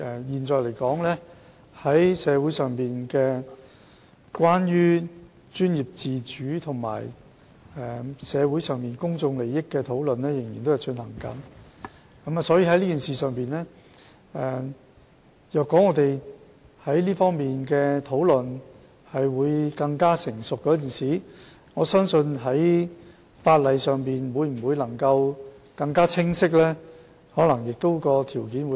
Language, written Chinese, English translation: Cantonese, 現時，社會上有關專業自主與公眾利益的討論仍在進行，所以我相信當這方面的討論更趨成熟時，法例可能會更加清晰，而修例的條件亦會更好。, Since discussions on professional autonomy and public interests are still underway in the community I therefore believe when the issue is thoroughly discussed the legislation may become more specific and it will be more conducive to the amendment of legislation